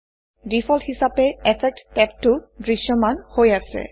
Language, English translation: Assamese, By default the Effects tab is displayed